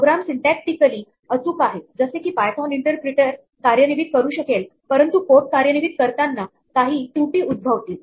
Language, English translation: Marathi, The program is syntactically correct it is something that the python interpreter can execute, but while the code is being executed some error happens